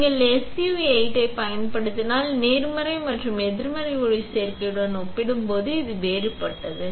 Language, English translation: Tamil, If you use SU8, this is the different thing compare to positive and negative photoresist